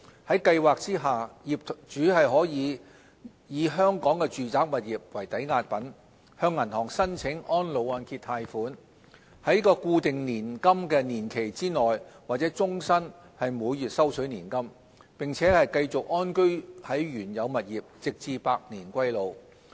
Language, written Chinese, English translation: Cantonese, 在計劃下業主可以以香港的住宅物業為抵押品，向銀行申請安老按揭貸款，在固定年金年期內或終身每月收取年金，並繼續安居在原有物業直至百年歸老。, Under the programme a property owner can use hisher residential property in Hong Kong as security to borrow reverse mortgage loan from a bank . The participant can receive monthly payouts either over a fixed period of time or throughout hisher entire life while staying in the property for the rest of hisher life